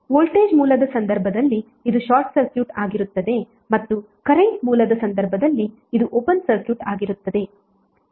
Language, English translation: Kannada, So turned off means what in the case of voltage source it will be short circuited and in case of current source it will be open circuited